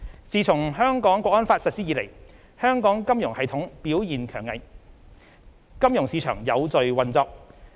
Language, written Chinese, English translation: Cantonese, 自從《香港國安法》實施以來，香港金融系統表現強韌，金融市場有序運作。, Since the implementation of the National Security Law the financial system of Hong Kong has exhibited remarkable resilience and the financial markets continue to function in an orderly manner